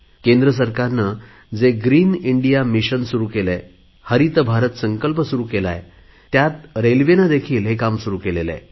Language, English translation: Marathi, Under the central government's ongoing 'Green India Mission', Railways too have joined in this endeavour